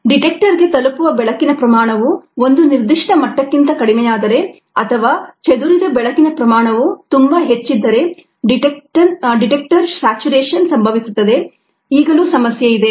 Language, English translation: Kannada, that is because the detector range, if a, the amount of light reaching the detector goes below a certain, or if the amount of light that is scattered is very high, then the detector saturation happens